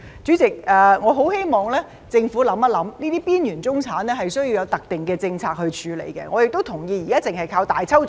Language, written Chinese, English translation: Cantonese, 主席，我很希望政府想一想，這些邊緣中產是需要有特定的政策來處理，我亦同意現時只靠"大抽獎"......, President I very much hope that the Government will think about this . It is necessary to adopt specific policies to deal with these marginalized middle - class people